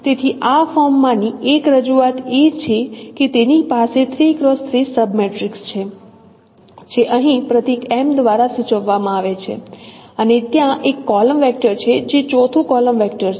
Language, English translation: Gujarati, So one of the representations in this form is that it has a 3 cross 3 sub matrix which is denoted here by the symbol capital M and there is a column vector which is the fourth column vector